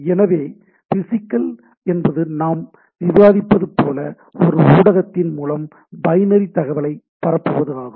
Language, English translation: Tamil, So, physical is primarily as we were discussing, transmission of binary data on a over a media right; so, this is a thing